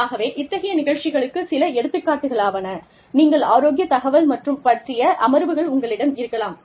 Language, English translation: Tamil, So, some examples of such programs are, you could have health information sessions